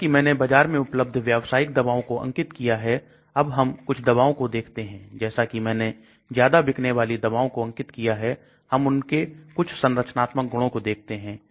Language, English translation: Hindi, Let us now look at some of the drugs which I mentioned commercial drugs in the market which I had mentioned as top selling drugs and we will look at some of those structural features